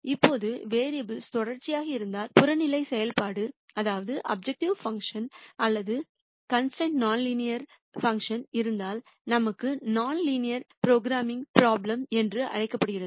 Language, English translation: Tamil, Now, if the variable remains continuous however, if either the objective function or the constraints are non linear functions, then we have what is called a nonlinear programming problem